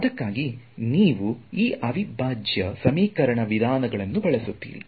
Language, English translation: Kannada, So, that is why you will take use these integral equation methods ok